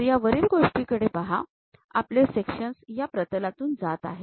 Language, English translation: Marathi, So, look at the top thing, our section pass through this plane